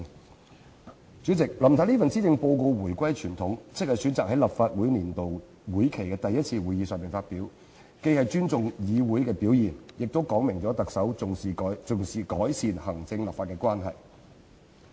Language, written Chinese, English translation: Cantonese, 代理主席，林太這份施政報告回歸傳統，即選擇在立法會年度會期的第一次會議上發表，既是尊重議會的表現，亦說明特首重視改善行政立法關係。, Deputy President Mrs LAM has returned to the tradition as she chose to deliver her Policy Address at the first meeting of the legislative session of the Legislative Council . Such a move not only serves as a token of respect towards the legislature but also indicates the importance attached by the Chief Executive to improving the relations between the executive and the legislature